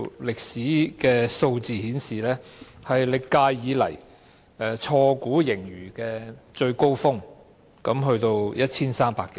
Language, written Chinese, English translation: Cantonese, 歷史上的數字顯示，這是歷屆以來錯估盈餘的最高峰，高達 1,300 多億元。, Figures in historical records indicate that it is the peak of inaccurate surplus estimation ever in all previous terms of Government reaching 130 - odd billion